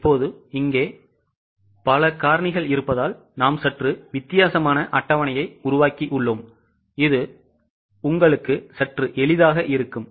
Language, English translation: Tamil, Now here since are many factors, we have made slightly a different type of table which might make it slightly easy for you